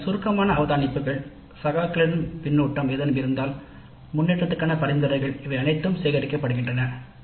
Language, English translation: Tamil, Then summary observations, peer feedback if any, suggestions for improvement, all these are also collected